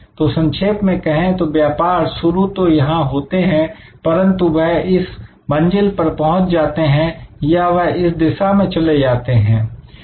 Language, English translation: Hindi, So, in short businesses start usually here and they go in this direction or they go in this direction